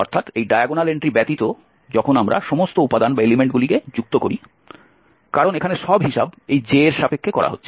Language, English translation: Bengali, So except this diagonal entry when we add all element because here the submission is going over this j the second one